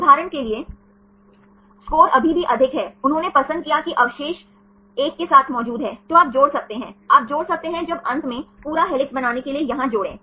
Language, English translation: Hindi, The score is still more for example, they preferred residues are present together, then you can add up, you can add up when there finally, add up to here to make the complete helix